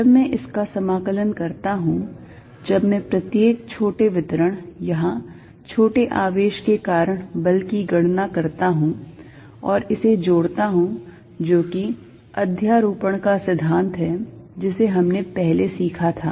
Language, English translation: Hindi, When I integrate this, when I am calculating force due to each small distribution, small charge here and adding it up, which was a principle of superposition we learnt earlier